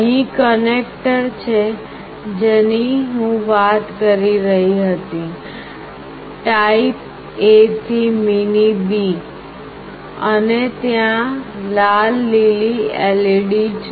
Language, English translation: Gujarati, Here is the connector I was talking about, type A to mini B, and there is a red/green LED